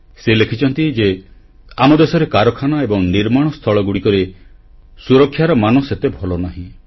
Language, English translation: Odia, He writes that in our country, safety standards at factories and construction sites are not upto the mark